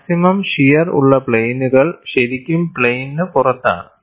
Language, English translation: Malayalam, The plane of maximum shear is really out of plane